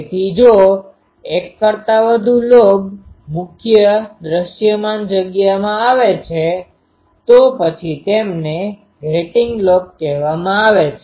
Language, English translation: Gujarati, So, if more than one main lobe comes in to the visible space then they are called grating lobe